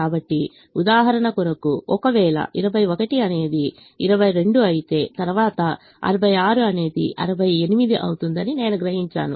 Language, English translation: Telugu, so for the sake of illustration, if twenty one becomes twenty two, then i realize that sixty six would become sixty eight